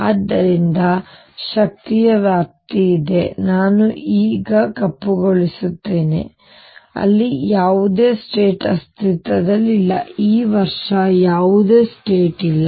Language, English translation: Kannada, So, there is a range of energy which I will now black out where no state exists there is no state that is this year